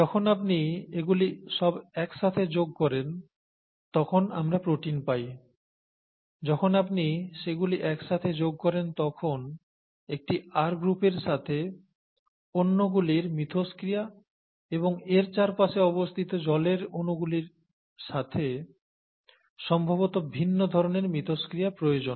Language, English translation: Bengali, Then when you put all these together you have the protein and when you put all these together, there is a need for interaction of one R group with the other and probably other kinds of interactions with the water around it and so on so forth